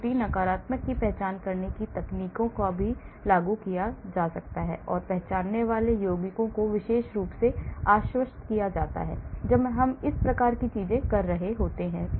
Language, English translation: Hindi, Techniques for identifying false negative can also be implemented and the compounds identified be reassessed especially, when we are doing this type of things